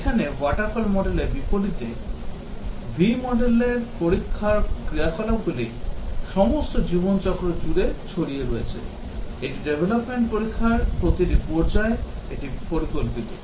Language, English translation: Bengali, Here, unlike waterfall model, in V model testing activities are spread all over the life cycle, that is in every phase of development test